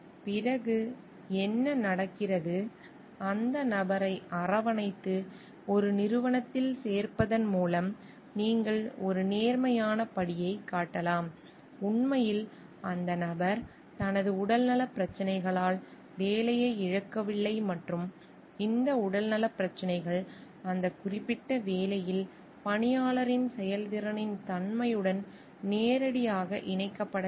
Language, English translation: Tamil, Then what happens you may show a positive step by embracing the person and putting him in a organization; where truly the person do not lose a job due to his health issues and if this health issues are not directly connected with the nature of the performance of the employee in that particular job